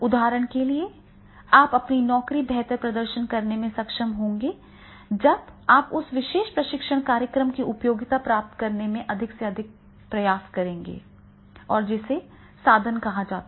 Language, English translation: Hindi, If you are able to better perform your job, then definitely you will be making the more and more efforts to get the usefulness of that particular training program and that is called the instrumentality